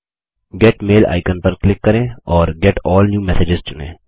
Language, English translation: Hindi, Click the Get Mail icon and select Get All New Messages